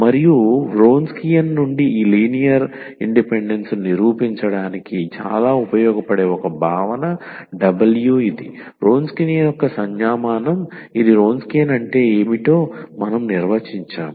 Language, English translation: Telugu, And one concept which is very useful to prove this linear independence since the Wronskian which is W this is the notation for the Wronskian we will define in a minute what is Wronskian